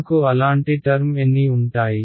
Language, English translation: Telugu, How many such terms will I have